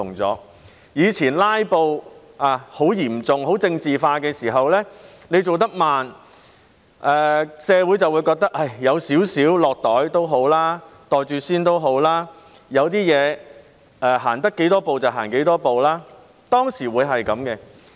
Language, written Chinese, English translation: Cantonese, 過去當"拉布"情況很嚴重，凡事變得很政治化時，政府做事慢，社會會認為"有少少落袋"、"袋住先"也好，有些事能走多少步便走多少步，當時社會是這樣的。, In the past when filibustering was at its height and everything became politicized the Government was slow in action . The community would thus consider it good enough to have a little bit of something to pocket first and to get as much done as possible for some issues . This was what the community was like back then